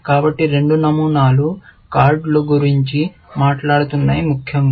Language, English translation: Telugu, So, two patterns are talking about cards, essentially